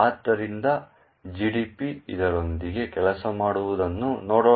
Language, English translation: Kannada, So, let us see GDB working with this